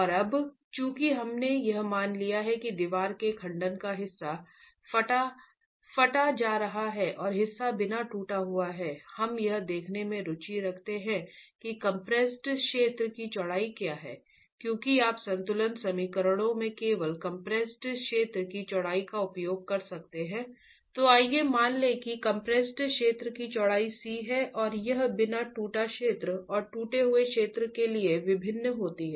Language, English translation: Hindi, And now since we have assumed that part of the wall section is going to be cracked and part is uncracked, we are interested in looking at what is the compressive length of the width of the compressed zone because you can use only the width of the compressed zone in your equilibrium equations